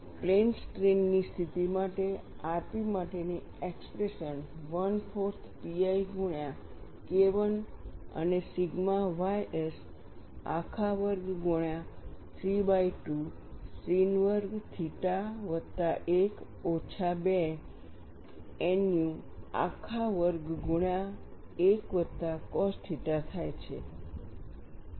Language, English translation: Gujarati, For the plane strain situation, the expression for r p turns out to be 1 by 4 pi multiplied by K 1 by sigma ys whole square, multiplied by 3 by 2 sin square theta plus 1 minus 2 nu whole squared multiplied by 1 plus cos theta, and this for Von Mises